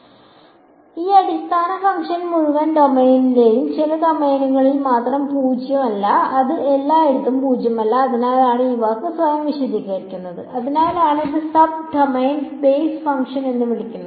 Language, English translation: Malayalam, So, this basis function is non zero only in a some domain of the entire domain it is not nonzero everywhere right that is why the word is self explanatory that is why it is called a sub domain basis function